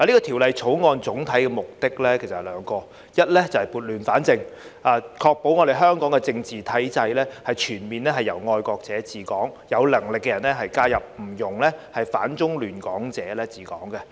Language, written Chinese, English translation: Cantonese, 《條例草案》總體目的有兩個，一是要撥亂反正，確保香港政治體制全面由"愛國者治港"，有能力的人才加入，不容反中亂港者治港。, The overall purpose of the Bill is twofold . First to set things right and ensure that the principle of patriots administering Hong Kong is fully implemented in terms of Hong Kongs political system and that capable people will join the Government so that those who oppose China and disrupt Hong Kong will not be allowed to administer Hong Kong